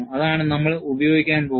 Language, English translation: Malayalam, That is what we are going to use